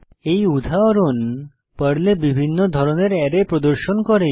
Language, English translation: Bengali, This example shows the various types of arrays in Perl